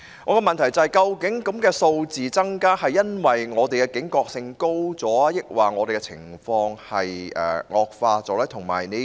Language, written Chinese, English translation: Cantonese, 我的補充質詢是，究竟個案數字增加是因為本港的警覺性提高了，還是情況惡化了呢？, My supplementary question is as follows . Is the increase in numbers of cases attributable to our enhanced vigilance or the worsening of our situation?